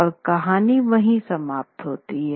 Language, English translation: Hindi, And this is part of the story